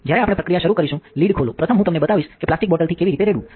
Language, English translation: Gujarati, When we are starting a process, open the lid, first I will show you how to pour from a plastic bottle